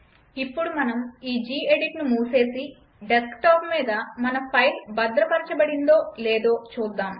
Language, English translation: Telugu, Lets close this gedit now and check whether our file is saved on desktop or not